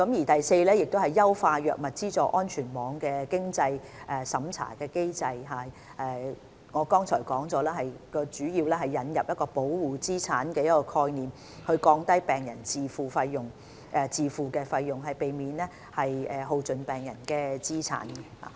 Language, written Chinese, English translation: Cantonese, 第四，優化藥物資助安全網的經濟審查機制，正如我剛才說過，主要是引入保護資產概念，降低病人自付的費用，避免耗盡病人的資產。, Fourth the financial assessment for drug subsidy safety net has been enhanced . As I said just now the enhanced measures basically introduce the asset protection concept reduce patients out - of - pocket spending and avoid depleting their assets